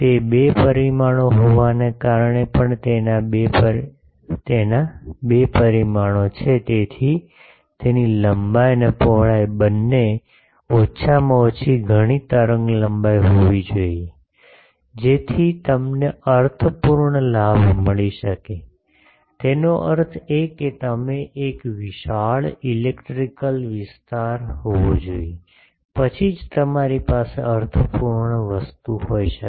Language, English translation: Gujarati, Since it is a two dimension also the it has two dimensions, so its length and width both should be a at least several wavelengths the, so that you can have a meaningful gain; that means, it should have a sizable electrical area the, then only you can have a meaningful thing